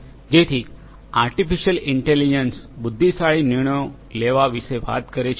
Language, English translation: Gujarati, So, artificial intelligence talks about making intelligent decisions